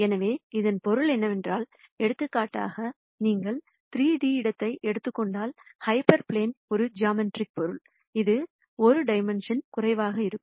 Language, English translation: Tamil, For example, if you take the 3D space then hyper plane is a geometric entity which is 1 dimension less